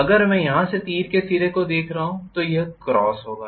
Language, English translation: Hindi, If am looking at the arrow head from here it is going to be a cross